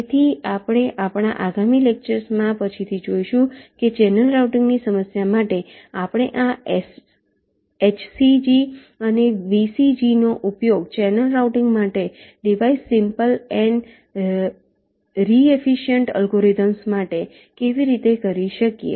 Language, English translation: Gujarati, so we shall see later in our next lectures that how we can use this h c g and v c g for channel routing problem to device simple and re efficient algorithms for channel routing